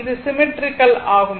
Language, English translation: Tamil, So, it is symmetrical